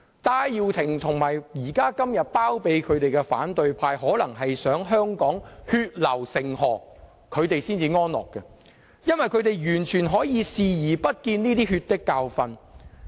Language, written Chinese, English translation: Cantonese, 戴耀廷和現在包庇他的反對派可能想看到香港血流成河才會安樂，因為他們可以完全對這些"血的教訓"視而不見。, Benny TAI and the opposition camp that harbours him might be satisfied only when they saw bloodshed in Hong Kong as they are turning a blind eye to these bloody lessons